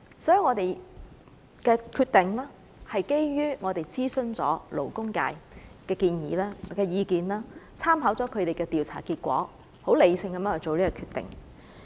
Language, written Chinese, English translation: Cantonese, 所以，我們的決定是基於曾諮詢勞工界的意見，參考了他們的調查結果，十分理性地作出這個決定。, Our decision is therefore based on our consultation with the labour sector having regard to the results of their survey . It is a decision made in a fairly rational manner